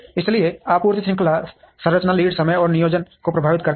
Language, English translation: Hindi, So, supply chain structure impacts the lead time and the planning